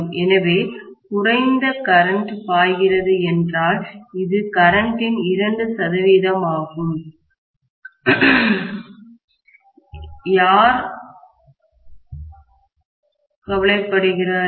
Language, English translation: Tamil, So, if lesser current is flowing, which is 2 percent of the current, who cares, really